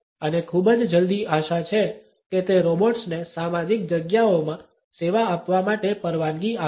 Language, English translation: Gujarati, And very soon it is hoped that it would allow a robots to serve in social spaces